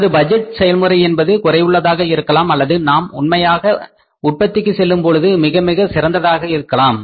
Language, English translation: Tamil, Our budget process was defective or actually we have become very, very effective while going for the actual production